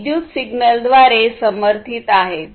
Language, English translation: Marathi, These are powered by electrical signals